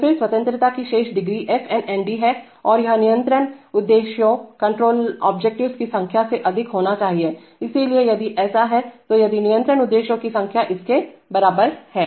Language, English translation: Hindi, So then the remaining degrees of freedom are f n nd and that must be greater than the number of control objectives, so if it is, so if the number of control objectives is equal to that